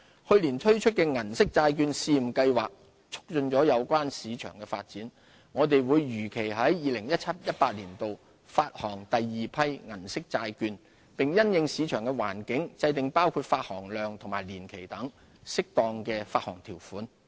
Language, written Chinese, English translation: Cantonese, 去年推出的銀色債券試驗計劃促進了有關市場的發展，我們會如期在 2017-2018 年度發行第二批銀色債券，並因應市場環境，制訂包括發行量及年期等適當的發行條款。, The Silver Bond Pilot Scheme launched last year has further promoted the development of the relevant market . As scheduled we will issue a second batch of Silver Bond in 2017 - 2018 . Appropriate issuance terms including the issuance size and tenure will be formulated in the light of market environment